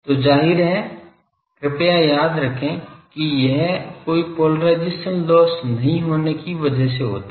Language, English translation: Hindi, So, obviously, this is please remember that this is subject to no polarisation loss